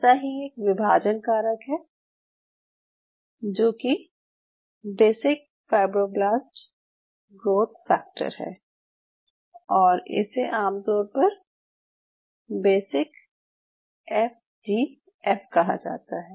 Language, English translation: Hindi, Like one of the dividing factor is called basic fibroblast growth factor, which commonly is called basic FGF